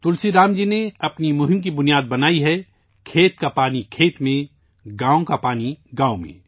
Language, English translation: Urdu, Tulsiram ji has made the basis of his campaign farm water in farms, village water in villages